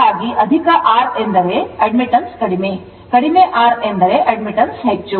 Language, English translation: Kannada, So, if ha high R means admittance is low, low R means admittance is high